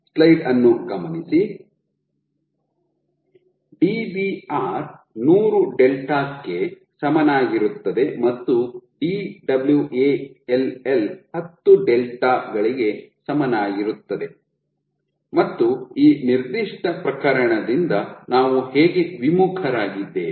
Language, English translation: Kannada, Where Dbr equal to 100 delta and Dwall equal to 10 delta how did we deviate from this particular case